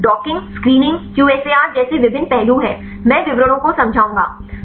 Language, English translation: Hindi, So, there are various aspects like docking, screening, QSAR, I will explain the details